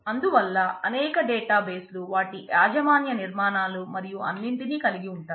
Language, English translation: Telugu, So, there are several databases have their proprietary constructs and all that also